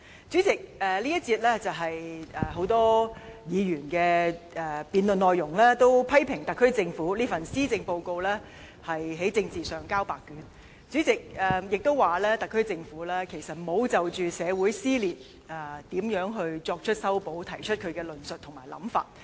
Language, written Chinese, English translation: Cantonese, 主席，這一個辯論環節，很多議員也批評特區政府這份施政報告在政治上"交白卷"，也批評特區政府沒有就如何修補社會撕裂提出論述和想法。, President in this debate session many Members have criticized the SAR Government for saying nothing in the Policy Address with regard to the subject of politics as well as for not presenting any arguments and thoughts to mend the fractures in society